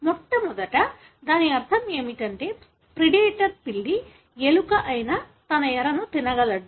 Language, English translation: Telugu, In the first what it gives the meaning is the predator cat is able to consume its prey which is rat